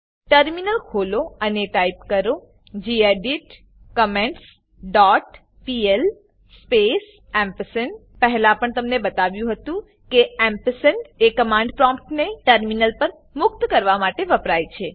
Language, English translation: Gujarati, Open the Terminal and type gedit comments dot pl space Once again, reminding you that the ampersand is used to free the command prompt in the terminal and press enter